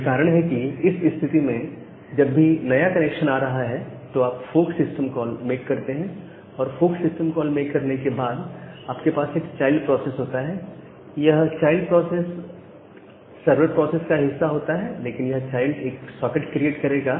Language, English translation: Hindi, So, that is why the idea is that, whenever a new connection is coming, you make a fork system call and after making a fork system call have a child process, that child process that is the part of the server process, but that will create a child socket it will